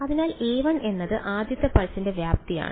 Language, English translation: Malayalam, So, a 1 is the amplitude of the first pulse